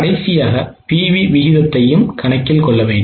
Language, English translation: Tamil, Also let us calculate the PV ratio